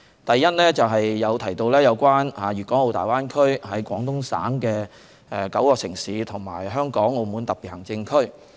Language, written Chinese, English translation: Cantonese, 第一，有議員提到粵港澳大灣區內廣東省的9個城市，以及香港和澳門兩個特別行政區。, Firstly as some Members mentioned the Greater Bay Area is made up of nine cities in Guangdong Province as well as two SARs namely Hong Kong and Macao